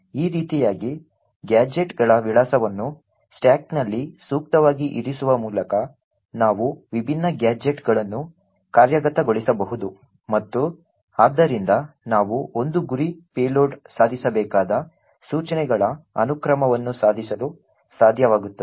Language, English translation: Kannada, In this way by appropriately placing address of gadgets on the stack, we are able to execute the different gadgets and therefore we are able to achieve the sequence of instructions that a target payload had to achieve